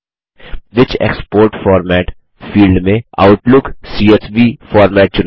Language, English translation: Hindi, In the field Which export format., select Outlook CSV format